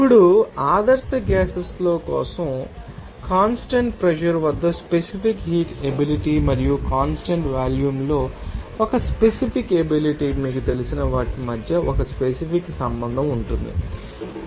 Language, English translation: Telugu, Now, for ideal gases, you will see there will be a certain relationship between these you know specific heat capacity at constant pressure and a specific capacity at constant volume